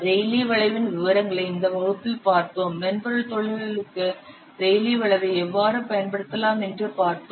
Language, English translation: Tamil, We have seen in this class the details of Raleh curve, how Rale Curb can be applied to what software industries